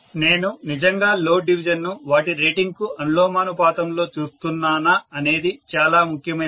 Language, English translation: Telugu, Whether I am actually looking at the load division in proportion to their rating that is what is very very important